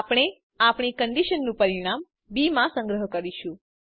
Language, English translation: Gujarati, We shall store the result of our condition in b